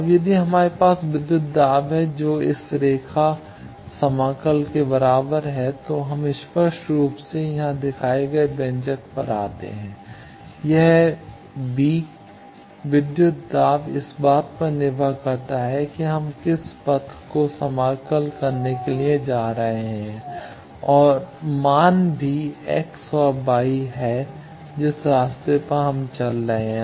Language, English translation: Hindi, Now, from that if we have that voltage is equal to the line integral of this, we come across the expression shown here obviously, this V, the voltage depends on which path we are taking to integrate and also the values are x and y that we are traversing on the way